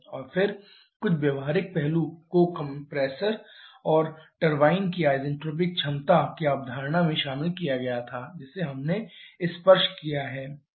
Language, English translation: Hindi, And then some practical aspect was incorporated the concept of isentropic efficiencies of the compressor and turbine that we have touched upon